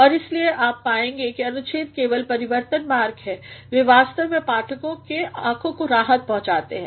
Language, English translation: Hindi, And that is why you will find that the paragraphs are just transitions, they actually provide relief to the eyes of the readers